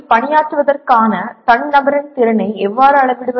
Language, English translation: Tamil, And but how do we measure the individual’s ability to work in a team